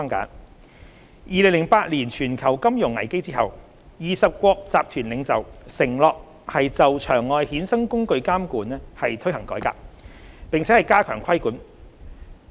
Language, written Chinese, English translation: Cantonese, 在2008年全球金融危機後 ，20 國集團領袖承諾就場外衍生工具監管推行改革，並加強規管。, After the global financial crisis in 2008 the Group of Twenty G20 Leaders have been committed to reforming and strengthening the regulatory regime for the OTC derivatives market